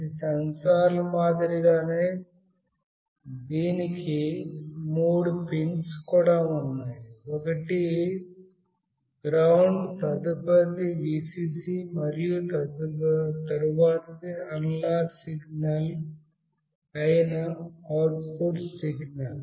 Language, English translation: Telugu, Similar to other sensors, this also has got 3 pins, one is GND, next one is Vcc, and the next one is the output signal that is an analog signal